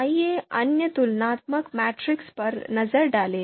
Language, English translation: Hindi, Let’s look at other other comparison matrices, 0